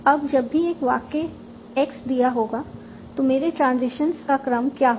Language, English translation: Hindi, Now, whenever you are given a sentence X, what is my transition sequence